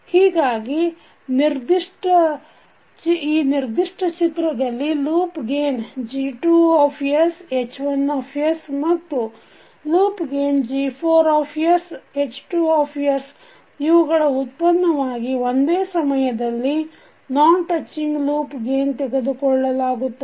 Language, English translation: Kannada, So in this particular figure the product of loop gain that is G2 and H1 and the loop gain G4s2 is the non touching loop gain taken two at a time